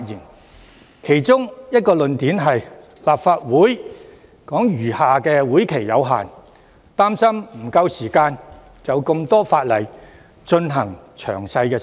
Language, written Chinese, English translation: Cantonese, 他們提出的其中一個論點是，立法會餘下的會期有限，擔心沒有足夠時間就多項法例進行詳細審議。, One of their arguments was the insufficient time for detailed deliberation of the subsidiary legislation given that the current term of the Legislative Council has not much time left